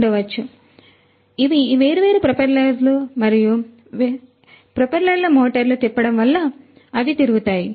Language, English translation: Telugu, So, these are these different propellers and these propellers they rotate by virtue of the rotation of the motors